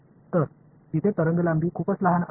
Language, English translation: Marathi, So, there the wavelength is much smaller